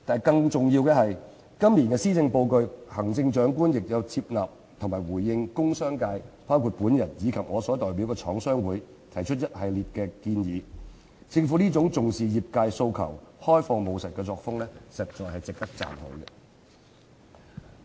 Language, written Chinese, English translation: Cantonese, 更重要的是，今年的施政報告，行政長官亦有接納和回應工商界，包括我及我所代表的香港中華廠商聯合會提出的一系列建議，政府這種重視業界訴求、開放務實的作風，實在值得讚許。, More importantly in this years Policy Address the Chief Executive has accepted and responded to a series of proposals made by the industrial and commercial sectors including myself and the Chinese Manufacturers Association of Hong Kong that I represent . It is indeed commendable that the Government attaches great importance to the aspirations of the sector and adopts an open and pragmatic style of governance